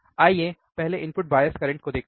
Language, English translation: Hindi, Let us see first is input bias current ok